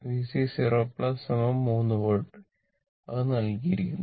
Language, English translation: Malayalam, V C 0 plus is equal to 3 volt, it is given